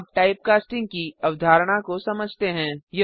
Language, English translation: Hindi, We now have the concept of typecasting